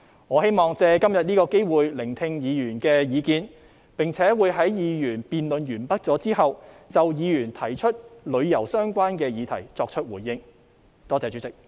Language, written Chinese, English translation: Cantonese, 我希望借今天這個機會聆聽議員的意見，並且在議案辯論結束後就議員提出與旅遊相關的議題作出回應。, I wish to take this opportunity today to listen to Members views and respond to Members questions on tourism - related subjects at the end of this motion debate